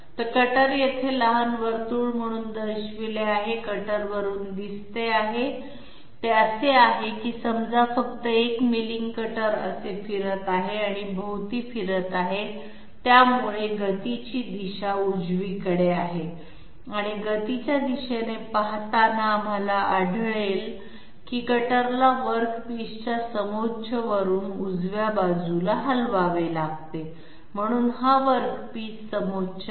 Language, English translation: Marathi, So the cutter is shown as the small circle here, the cutter is seen from the top, it it is say simply a milling cutter moving like this, rotating and moving like this all around, so the direction of motion is right wards and looking in the direction of motion and we find that cutter has to be shifted towards the right side from the path from the work piece contour, so this is the work piece contour